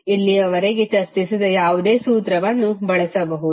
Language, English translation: Kannada, You can use any formula which we have discussed till now